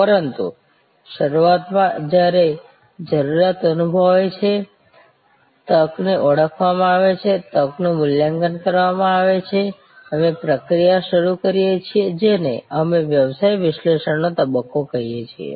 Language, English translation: Gujarati, But, initially therefore, when a need is felt, an opportunity is recognized, the opportunity is evaluated, we start the process, which we called the business analysis phase